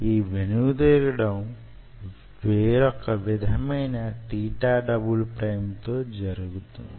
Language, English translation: Telugu, it will bounce back at a different theta double prime